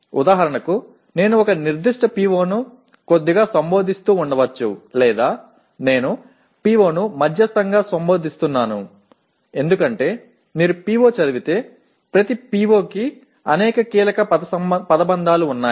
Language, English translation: Telugu, For example I may be slightly addressing a particular PO or I may be addressing a PO moderately because if you read the PO there are every PO has several key phrases